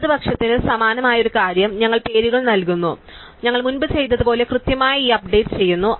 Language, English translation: Malayalam, And a similar thing for the left, we give names and just we do this updating exactly has we had done before